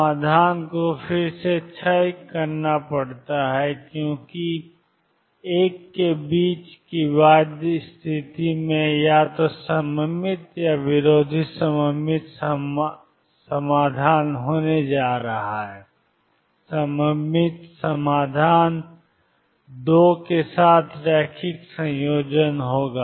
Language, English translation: Hindi, The solution again has to decay because the bound state in between I am going to have either symmetric or anti symmetric solutions the symmetric solution would be linear combination with two